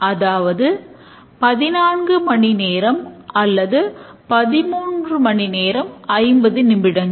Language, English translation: Tamil, And then you will say that it's 14 hours or 30 hour 50 minutes